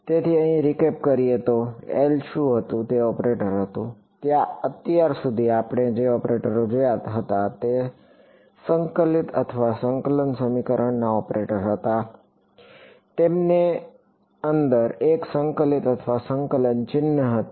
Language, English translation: Gujarati, So, the recap over here, what was L was an operator right so, far the operators that we had seen were integral equation operator they had a integral sign inside it ok